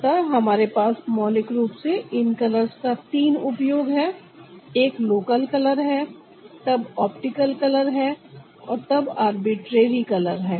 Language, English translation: Hindi, so we have combinations of this, three kinds: local combinations, optical combinations and arbitrary color combination